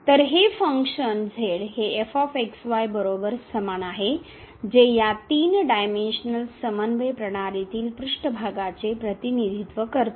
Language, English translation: Marathi, So, this is the function is equal to which represents the surface in this 3 dimensional coordinate system